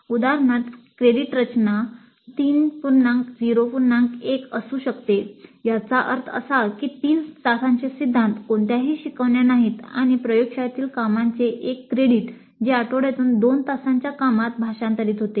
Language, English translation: Marathi, For example the credit structure may be 3 0 1, that means 3 hours of theory, no tutorials and one credit of laboratory work which typically translates to two hours of work per week